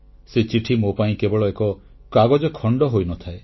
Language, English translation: Odia, That letter does not remain a mere a piece of paper for me